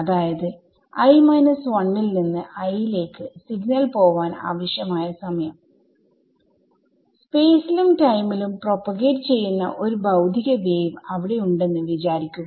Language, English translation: Malayalam, Imagine there is a physical wave that is propagating in space and time what is the minimum time required for the wave to go from i minus 1 to i